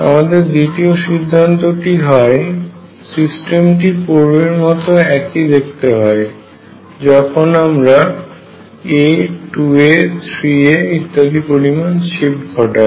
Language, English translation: Bengali, Conclusion number 2, the system looks identical after shift by a or 2 a or 3 a or so on